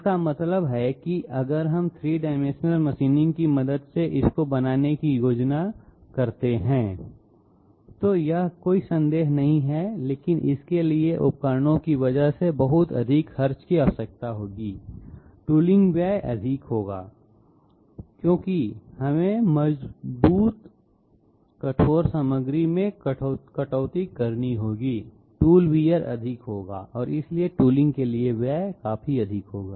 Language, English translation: Hindi, That means if we plan to make these dies with the help of 3 dimensional machining, it is no doubt possible but it will require a lot of expenditure because of tools, tooling expenditure will be high because we have to cut strong, tough materials, tool wear will be high and therefore, expenditure for tooling will be quite high